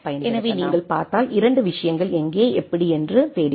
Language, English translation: Tamil, So, if you look at there are 2 things we are looking for where and how